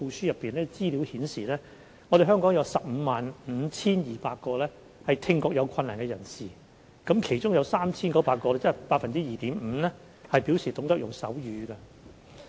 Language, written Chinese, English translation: Cantonese, 相關資料顯示，香港有 155,200 名聽覺有困難的人士，當中有 3,900 名，即大約 2.5% 表示懂得使用手語。, According to relevant figures there were 155 200 people with hearing difficulty in Hong Kong . Of these 3 900 people or roughly 2.5 % of the total knew how to use sign language